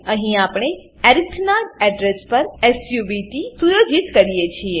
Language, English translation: Gujarati, Here we set subt to the address of arith